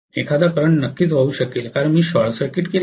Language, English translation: Marathi, A current would definitely flow because I have short circuited